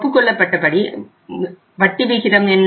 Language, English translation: Tamil, What was the agreed rate of interest